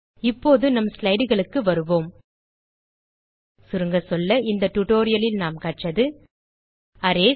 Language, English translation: Tamil, Now, we will go back to our slides Le us summarize In this tutorial we learned, Arrays